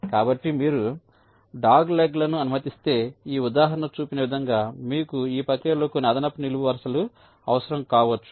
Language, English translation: Telugu, so you are allowing doglegs but you may required some additional columns in the process, as this example shows right